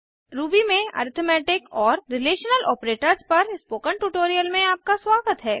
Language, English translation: Hindi, Welcome to the Spoken Tutorial on Arithmetic Relational Operators in Ruby